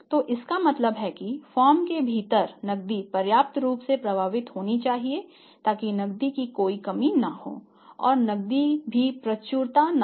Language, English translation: Hindi, So, it means cash must be following on within the firm and sufficiently it must be flowing there should not be any shortage of the cash and there should not be any abundance of the cash